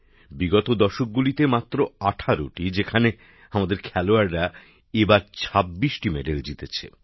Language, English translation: Bengali, In all these decades just 18 whereas this time our players won 26 medals